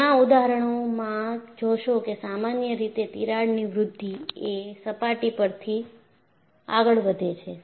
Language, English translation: Gujarati, In many examples, you will find, crack growth generally, proceeds from the surface